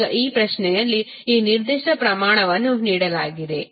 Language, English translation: Kannada, Now, this particular quantity is given in this question